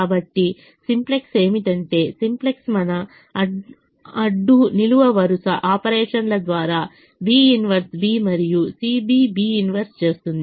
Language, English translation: Telugu, so what's simplex does is the simplex does b inverse, b and c b, b inverse